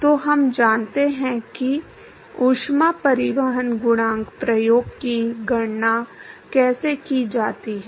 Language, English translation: Hindi, So, we know how to calculate the heat transport coefficient experiment